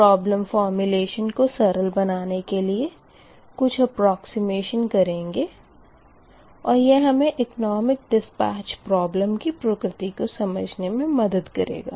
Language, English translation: Hindi, hence, some approximation will be made to simplify the problem formulation, and it gives the physical insight into the problem of economic dispatch, right